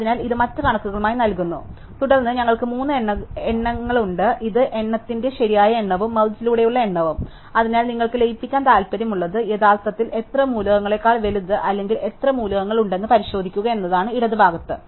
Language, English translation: Malayalam, So, this gives as other count and then, we have three counts the left count the right count and the count return by merge and so what you want to a merging is to actually check how many elements on the right or bigger than how many elements on the left